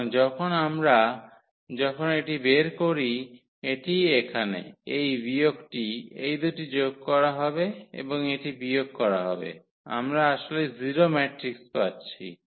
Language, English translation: Bengali, So, when we when we determine this one so, here this minus so, these two will be added and that this will be subtracted; we are getting actually 0 matrix